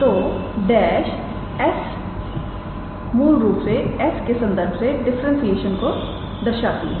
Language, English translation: Hindi, So, the dash s basically denotes the differentiation with respect to s